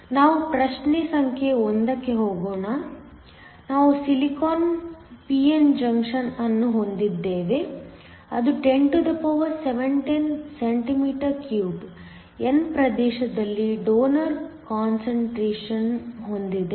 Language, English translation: Kannada, Let me go to problem number 1, we have a silicon p n junction which has an n region with 1017 donors cm 3 n region